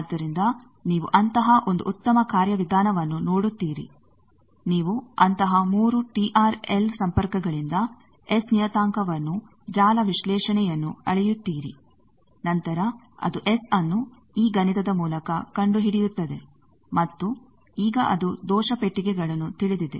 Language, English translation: Kannada, So, you see such a nice procedure that you measure by 3 such TRL connections the S parameter you measure, networks analysis measure then it finds out that S by these mathematics and then it now know error box is